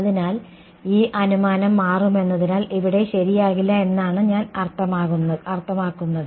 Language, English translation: Malayalam, So, then that as this assumption will become I mean it will not be correct over here right